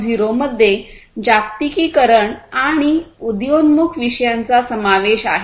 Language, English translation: Marathi, 0 incorporates globalization and emerging issues as well